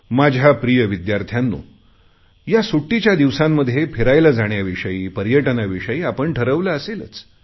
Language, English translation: Marathi, My dear students, you must have thought of travelling to places during your holidays